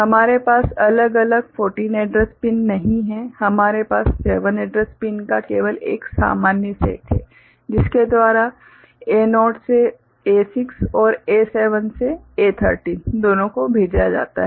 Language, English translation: Hindi, We do not have separate 14 address pins, we have only one common set of 7 address pins by which both A naught to A6 and A7 to A13 are sent